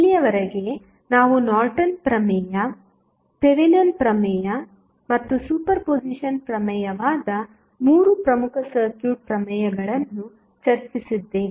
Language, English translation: Kannada, So, till now, we have discussed 3 important circuit theorems those were Norton's theorem, Thevenin's theorem and superposition theorem